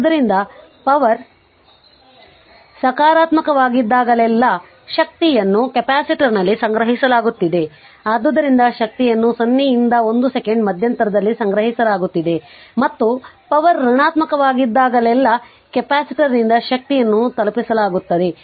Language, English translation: Kannada, So, here that your energy is being stored in the capacitor whenever the power is positive, hence energy is being stored in the interval 0 to 1 second right and energy is being delivered by the capacitor whenever the power is negative